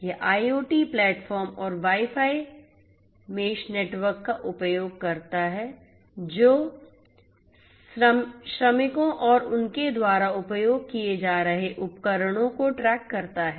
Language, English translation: Hindi, It uses the IoT platform and the Wi Fi mesh network that tracks the workers and the equipments that they are using